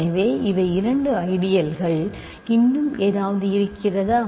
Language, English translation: Tamil, So, these are two ideals, are there any more